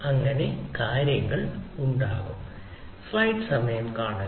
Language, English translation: Malayalam, so the other things are